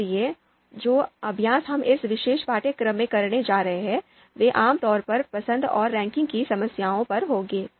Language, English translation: Hindi, So, the exercises that we are going to you know perform in this particular course, they would be typically on choice and ranking problems